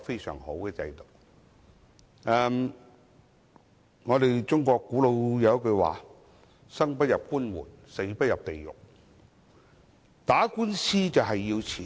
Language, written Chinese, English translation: Cantonese, 中國有一句古老說話："生不入官門，死不入地獄"，打官司需要花錢。, As an ancient Chinese saying goes One never steps through a government office door in ones lifetime and never goes to hell after death . Engaging in lawsuits needs money